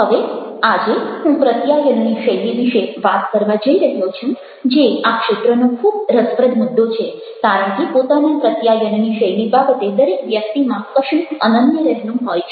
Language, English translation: Gujarati, now, today i am going to talk about the communication style, what is really very interesting topic in this area, because each individual has got something unique in his or her behavior about communication style